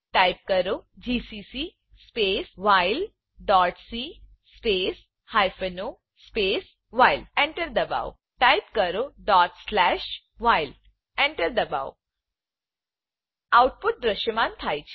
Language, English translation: Gujarati, Type gcc space while dot c space hyphen o space while Press Enter Type ./while .Press Enter The output is displayed